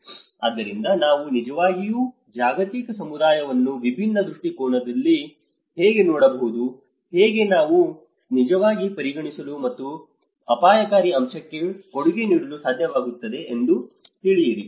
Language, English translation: Kannada, So, how we can actually look a global community in a different perspective know, how we are actually able to consider and contribute to the risk factor